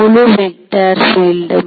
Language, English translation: Tamil, Whole vector field